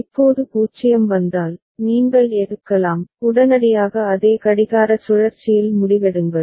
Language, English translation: Tamil, Now if 0 comes, right you can take, immediately take the decision in the same clock cycle